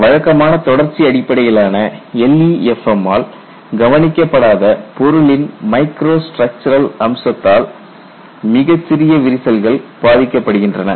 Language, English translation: Tamil, Very small cracks are influenced by micro structural feature of the material that is not addressed by the conventional continuum based LEFM, because it depends on the scale